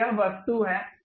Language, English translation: Hindi, So, this is the object